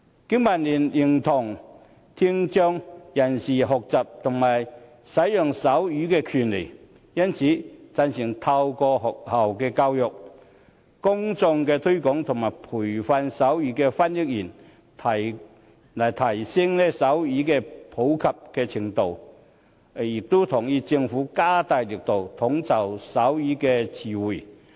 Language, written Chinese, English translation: Cantonese, 經民聯認同聽障人士學習和使用手語的權利，因此贊成透過學校教育、公眾推廣及培訓手語翻譯員，提升手語的普及程度，亦同意政府加大力度整理手語詞彙。, BPA acknowledges that people with hearing impairment have the right to learn and use sign language . Therefore we support enhancing the popularity of sign language through education in school public promotion and the training of sign language interpreters . We also agree that the Government should make greater efforts to consolidate the sign language glossary